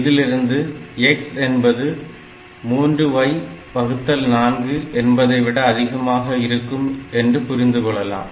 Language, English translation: Tamil, So, we have got 4 x equal to 3 y